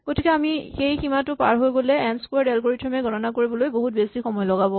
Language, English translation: Assamese, Therefore, what we see is that if we go beyond that an n squared algorithm would take enormously long time to compute